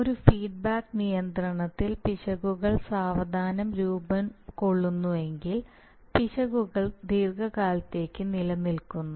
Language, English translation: Malayalam, In a feedback control errors must be formed to be corrected and if they form slowly then it takes then errors exist for long periods of time